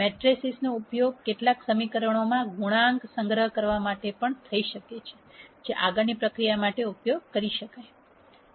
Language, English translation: Gujarati, Matrices can also be used to store coe cients in several equations which can be processed later for further use